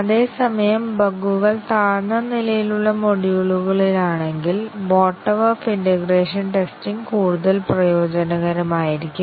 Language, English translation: Malayalam, Whereas if the bugs are at the low level modules, then a bottom up integration testing would be possibly more advantageous